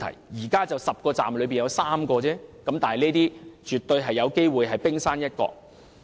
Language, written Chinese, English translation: Cantonese, 現時已知道10個車站中有3個出現問題，但這些絕對有機會只是冰山一角。, At present we already know that there are problems with 3 of the 10 stations and it is absolutely possible that these are just the tip of the iceberg